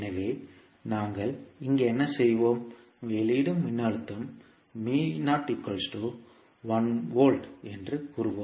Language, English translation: Tamil, So, what we will do here, we will say that the output voltage is given is V naught equal to 1 volt